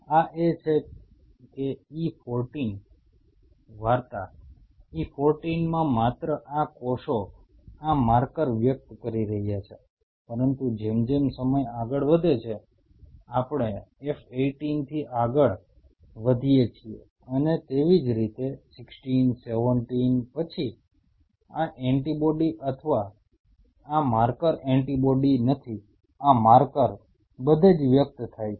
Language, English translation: Gujarati, This is that E14 the story at E14 only these cells are expressing this marker, but as time progresses as we move from F 18 and likewise, 16 17 then this antibody or this marker not antibody this marker is expressed all over